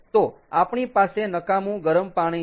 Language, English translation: Gujarati, ok, so we have waste warm water